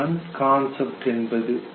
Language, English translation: Tamil, That is called concept